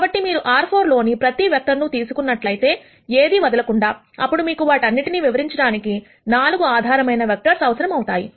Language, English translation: Telugu, So, if you take every vector in R 4, without leaving out anything then, you would need 4 basis vectors to explain all of them